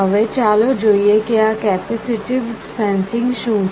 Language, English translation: Gujarati, Now, first let us see what this capacitive sensing is all about